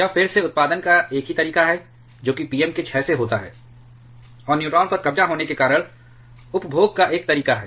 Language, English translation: Hindi, It again has just one way of producing that is by decay of Pm and one way of consuming because of the neutron capture